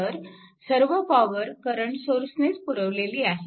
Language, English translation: Marathi, So, all the power supplied by the current source only right